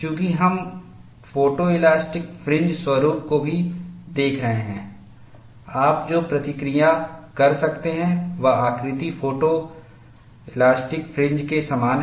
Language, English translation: Hindi, Since we have been looking at photo elastic fringe patterns also, what you could notice is, the shape is very similar to photo elastic fringes